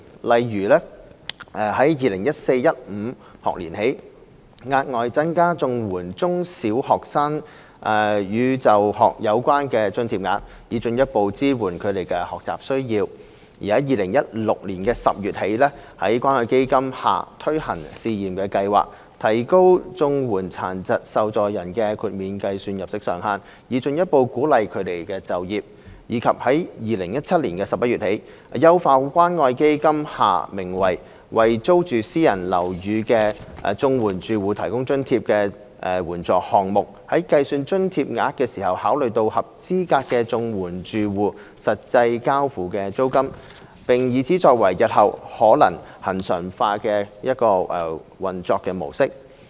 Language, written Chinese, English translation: Cantonese, 例如： a 在 2014-2015 學年起，額外增加綜援中小學生與就學有關的津貼額，以進一步支援他們的學習需要； b 在2016年10月起，在關愛基金下推行試驗計劃，提高綜援殘疾受助人的豁免計算入息上限，以進一步鼓勵他們就業；及 c 在2017年11月起，優化關愛基金下名為"為租住私人樓宇的綜合社會保障援助住戶提供津貼"的援助項目，在計算津貼額時考慮合資格綜援住戶實際交付的租金，並以此作為日後可能恆常化的一個運作模式。, For example a from the 2014 - 2015 school year the grants for school - related expenses for primary and secondary students of CSSA households had been further increased to better support their learning needs; b from October 2016 a pilot scheme under the Community Care Fund CCF was launched to further encourage disabled CSSA recipients to engage in employment by raising the maximum level of disregarded earnings; and c from November 2017 the CCF programme named Subsidy for CSSA Recipients Living in Rented Private Housing was enhanced by taking into account the actual rent paid by CSSA households in calculating the amount of subsidies which will serve as the basis for a possible model for regularization in future